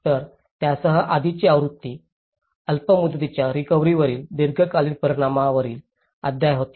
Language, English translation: Marathi, So, the earlier version with that was a chapter on long term impacts from the short term recovery